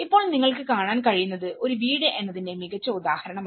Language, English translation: Malayalam, Now, this is a good example of what you can see is a house